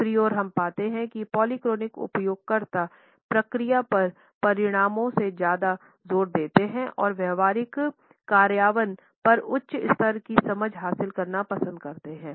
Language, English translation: Hindi, On the other hand we find that polychronic users emphasize process over results and prefer to gain a high level of understanding over a practical implementation